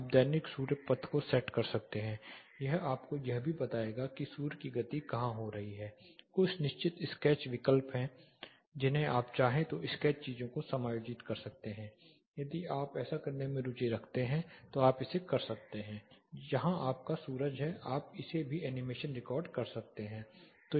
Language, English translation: Hindi, You can set the daily sun path it will also tell you where the sun movement is happening there are certain sketch options you can adjust the sketchy things if you want if you are interested doing that you can do it, but this is where your sun is you can record animations in this as well